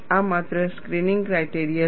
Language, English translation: Gujarati, This is only a screening criteria